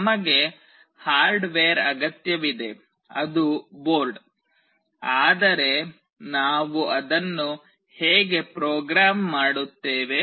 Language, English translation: Kannada, We need a hardware that is the board, but how do we program it